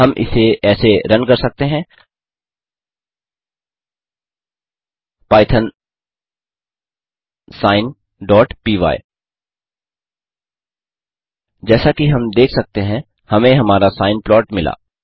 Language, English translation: Hindi, We can run it as,python sine.py python sine.py As we can see, we our sine plot